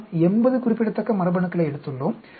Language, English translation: Tamil, We have taken 80 significant genes